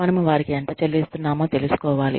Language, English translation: Telugu, We find out, how much we are paying them